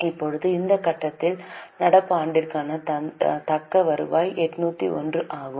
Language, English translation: Tamil, Now at this stage we get the retained earning for the current year which is 801